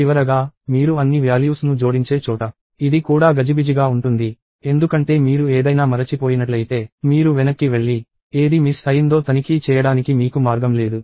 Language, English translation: Telugu, And finally, this one, where you are adding up all the values is also rather cumbersome, because if you forget something, you have no way to go back and check which one is missed out